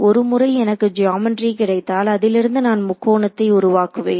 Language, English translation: Tamil, Once I have got my geometry, I have made triangles out of it